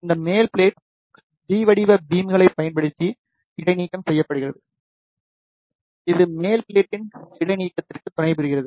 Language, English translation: Tamil, This top plate is suspended using the T shaped beams, which supports it for the suspension of the top plate